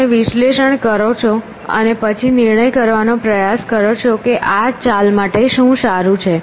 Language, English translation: Gujarati, You do this analysis and then try to judge which is good move to make